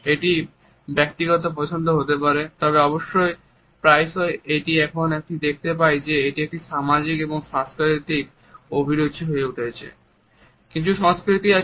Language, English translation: Bengali, It can be a personal choice, but more often now we find that it has become a social and cultural choice